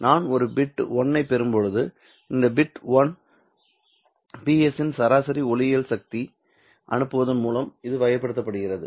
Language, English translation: Tamil, When I get a bit 1, this bit 1 is characterized by sending an average optical power of PS